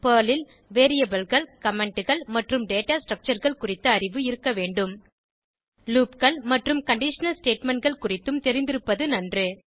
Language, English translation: Tamil, You should have basic knowledge of Variables, Comments Data Structures in Perl Knowledge of loops and conditional statements will be an added advantage